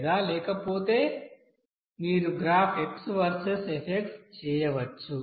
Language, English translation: Telugu, Or otherwise you can you know do a graph x versus f versus know x